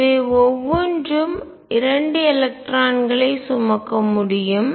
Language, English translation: Tamil, And each of these can carry 2 electrons